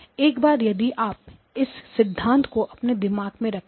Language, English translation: Hindi, So once you have this principle in mind